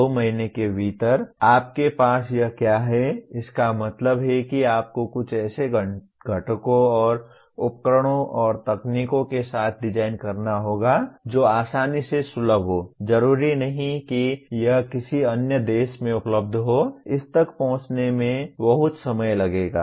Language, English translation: Hindi, What does it translate to when you have within two months, which means you have to design something with components and devices and technologies that are readily accessible, not necessarily something that is available in another country, it will take lot of time to access that